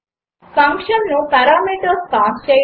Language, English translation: Telugu, Pass parameters to a function